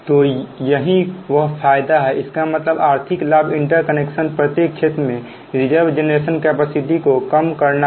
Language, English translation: Hindi, that means economics advantage of interconnection is to reduce the reserve generation capacity in each area